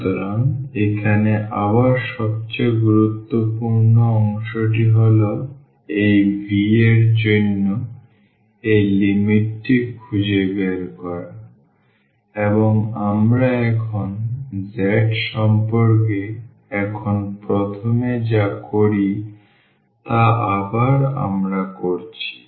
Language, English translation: Bengali, So, the most important part again here is finding this limit for this v and what we do now first with respect to z again we are putting